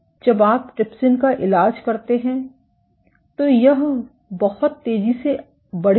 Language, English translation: Hindi, when you treat the trypsin, it will round up that much faster